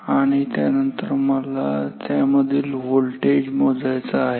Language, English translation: Marathi, And then I want to measure the voltage across it